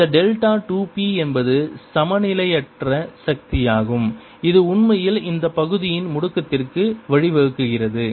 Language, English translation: Tamil, this delta two p is the unbalance force that actually gives rise to the acceleration of this portion